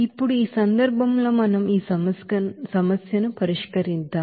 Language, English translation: Telugu, Now in this case let us solve this problem